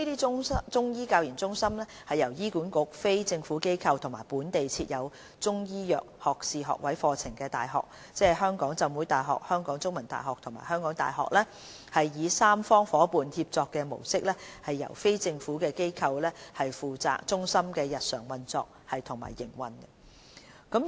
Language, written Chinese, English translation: Cantonese, 這些中醫教研中心由醫管局、非政府機構和本地設有中醫藥學士學位課程的大學，即香港浸會大學、香港中文大學和香港大學，以三方夥伴協作的模式由非政府機構負責中心的日常運作及營運。, These CMCTRs operate under a tripartite collaboration model involving HA NGOs and local universities offering undergraduate programmes in Chinese medicine . NGOs are responsible for the running and day - to - day operation of CMCTRs